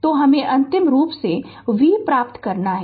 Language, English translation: Hindi, So, we have to final you have to get the v